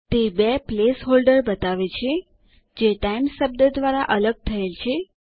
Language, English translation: Gujarati, It shows two place holders separated by the word Times